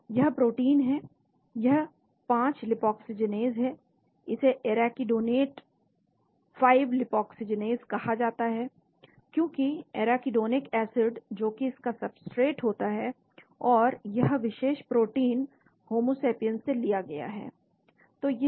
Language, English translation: Hindi, this is the protein this is the 5 lipoxygenase, it is called arachidonate 5 lipoxygenase, because it has arachidonic acid as its substrate of this, and this particular protein is from homosapiens